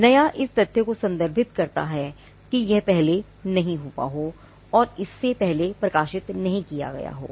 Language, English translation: Hindi, New refers to the fact that it is not gone before it is not been published before and original